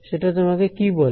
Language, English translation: Bengali, What does that tell you